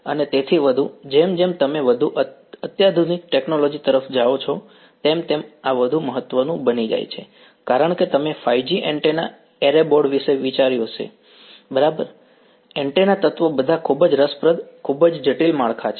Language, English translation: Gujarati, And more so, as you go towards more sophisticated technology this becomes more important because you have think of 5G antenna array board right, the antenna elements are all very interesting, very complicated structures